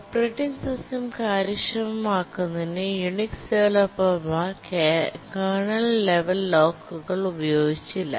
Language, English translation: Malayalam, The developers of the Unix to make the operating system efficient did not use kernel level locks